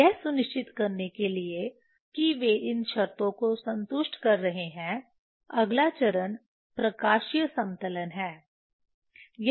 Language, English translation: Hindi, to make sure that they are satisfying these conditions next step is optical leveling of a is not that is not done